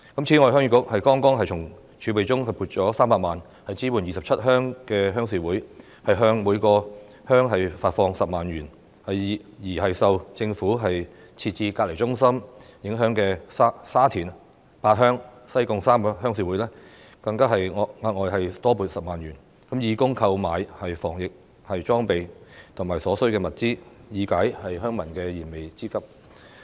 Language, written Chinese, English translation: Cantonese, 此外，鄉議局剛從儲備中撥出300萬元支援27鄉的鄉事會，向各鄉發放10萬元，而受政府設置隔離中心影響的沙田八鄉、西貢3個鄉事會更獲額外撥款10萬元，以供購買防疫裝備和所需物資，以解鄉民的燃眉之急。, Furthermore the Heung Yee Kuk has just set aside a sum of 3 million from its reserves to support the rural committees of 27 villages . It has provided each village with 100,000 . For Pat Heung in Sha Tin and the three rural committees in Sai Kung affected by the isolation centres set up by the Government an additional 100,000 was granted for purchasing anti - epidemic equipment and necessary supplies to meet the urgent needs of villagers